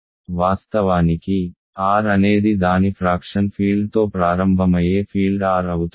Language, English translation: Telugu, Of course, if R is a field to begin with its fraction field is R, the R itself